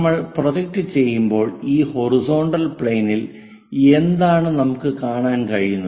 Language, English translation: Malayalam, When we are projecting what we can see is on this horizontal plane